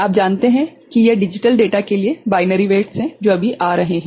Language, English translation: Hindi, These are the corresponding you know binary weights for the digital data that is coming right